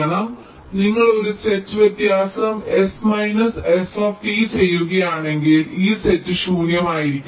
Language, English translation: Malayalam, so if you do a set difference, s minus st, this set should be empty